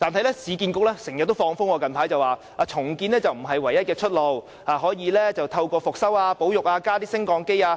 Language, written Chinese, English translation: Cantonese, 不過，市建局最近經常"放風"，指重建並非唯一出路，還可以進行復修、保育和加裝升降機。, However according to the information frequently leaked out by URA recently redevelopment is not the only option as old buildings can be rehabilitated conserved and have lifts installed